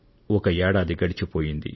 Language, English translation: Telugu, An entire year has gone by